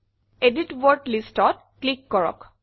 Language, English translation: Assamese, Click Edit Word Lists